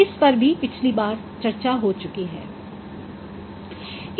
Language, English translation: Hindi, This also we discussed in a previous topic